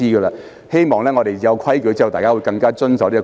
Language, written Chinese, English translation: Cantonese, 我希望在訂立規矩後，議員會更加守規。, It is my wish that after the rules are set Members can be more rule - abiding